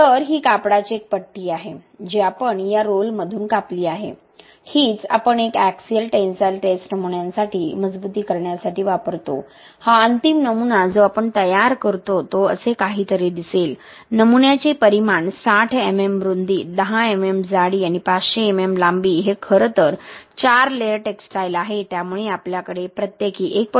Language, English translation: Marathi, So this is a strip of textile that we have cut out from this roll this is what we use for reinforcement for uni axial tensile test specimens, this final specimen that we fabricate after will be looking something like this, the dimension of the specimen will be 60 mm width, 10 mm thickness and a length of 500 mm, this is actually a four layered textile, so we have four layers of textile inside it with a spacing of 1